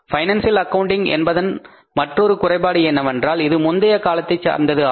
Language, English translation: Tamil, Another limitation of the financial accounting is that it is historical in nature